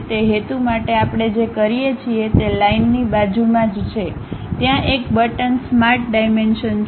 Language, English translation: Gujarati, For that purpose what we do is just next to Line, there is a button Smart Dimension